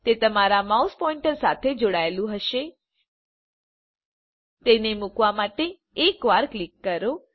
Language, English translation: Gujarati, It will be tied to your mouse pointer Click once to place it